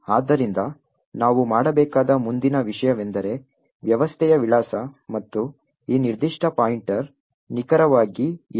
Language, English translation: Kannada, So, the next thing that we need to do determine is the address of system and what exactly is this particular pointer